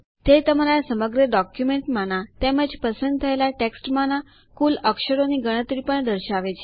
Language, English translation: Gujarati, It also shows the total count of characters in your entire document as well as in the selected text